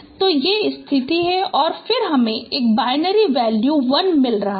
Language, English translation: Hindi, So these are the positions and then you are getting a binary value 1